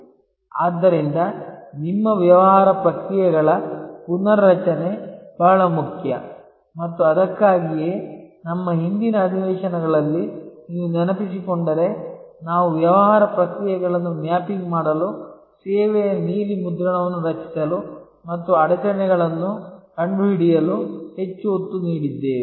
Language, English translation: Kannada, So, reengineering of your business processes is very important and that is why if you remember in our earlier sessions we led so much emphasis on mapping the business process, creating the service blue print and finding the bottlenecks